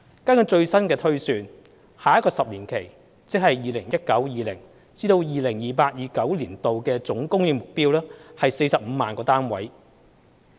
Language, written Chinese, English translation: Cantonese, 根據最新的推算，下一個10年期的總供應目標為45萬個單位。, According to the latest projection the total housing supply target for the next 10 - year period is 450 000 units